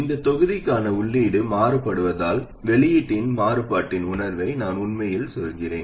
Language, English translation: Tamil, What I really mean is the sense of variation of output as the input is varied for this block